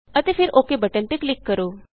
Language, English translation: Punjabi, And then click on the OK button